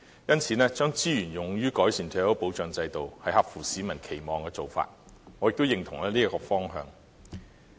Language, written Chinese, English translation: Cantonese, 因此，將資源用於改善退休保障制度，是合乎市民期望的做法，我亦認同這個方向。, Therefore it meets peoples expectation to deploy resources for improving the retirement protection system . I also support this policy direction